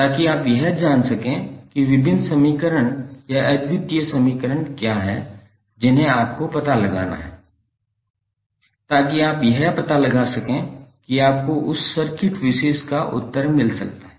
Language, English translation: Hindi, So that you can precisely identify what are the various equations or unique equation you have to find out so that you can find out you can get the answer of that particular circuit